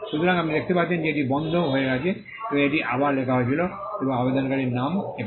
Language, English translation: Bengali, you can see that it was struck off and it was written back again, and the applicants name is here